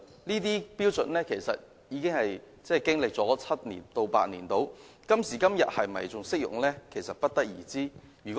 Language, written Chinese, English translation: Cantonese, 這些標準至今已經歷了7至8年，是否仍然適用其實不得而知。, It actually remains unknown whether the standard is still applicable after seven to eight years